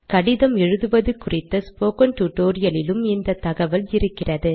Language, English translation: Tamil, This is from the spoken tutorial on letter writing